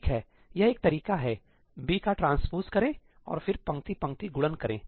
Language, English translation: Hindi, Okay, that is one approach that take the transpose of B and then do row row multiplications